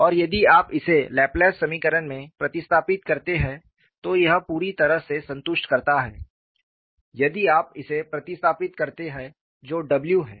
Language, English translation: Hindi, And if you substitute it in the Laplace equation, this completely satisfies, if you substitute the what is w